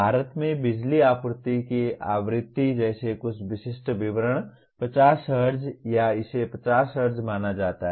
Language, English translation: Hindi, Some specific details like power supply frequency in India is 50 Hz or it is supposed to be 50 Hz